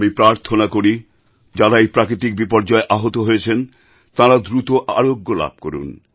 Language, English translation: Bengali, I earnestly pray for those injured in this natural disaster to get well soon